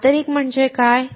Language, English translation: Marathi, What is intrinsic